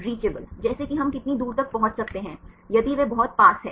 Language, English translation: Hindi, Reachable like how far we can reach whether it is very close